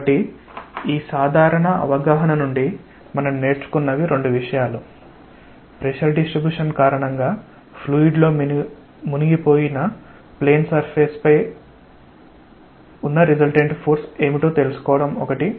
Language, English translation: Telugu, So, the two things that we learned from this simple exercise, one is to find out what is the resultant force on a plane surface which is immersed in a fluid due to the pressure distribution, and where is the point through which this resultant force acts